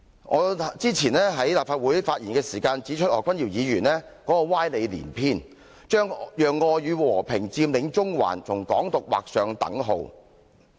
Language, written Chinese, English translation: Cantonese, 我早前在立法會發言的時候指出，何君堯議員歪理連篇，將讓愛與和平佔領中環跟"港獨"劃上等號。, I pointed out in a previous speech in the Legislative Council that Dr Junius HO had been spreading sophistry in which he equalized Occupy Central with Love and Peace with Hong Kong Independence